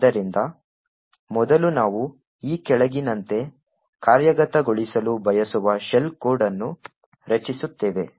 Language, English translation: Kannada, So, first of all we create the shell code that we we want to execute as follows